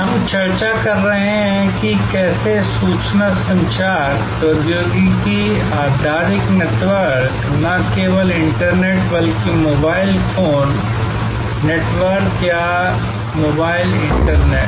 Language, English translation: Hindi, We are discussing how information communication technology based networks, not only the internet, but mobile phone network or mobile internet